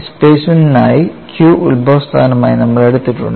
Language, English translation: Malayalam, For the displacement, we have taken Q as the origin